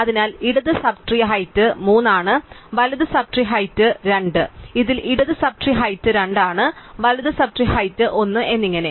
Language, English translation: Malayalam, So, the height of the left sub tree is 3, height of the right sub tree is 2 in this recursively the height of left sub tree is 2, the height of the right is sub tree is 1 and so on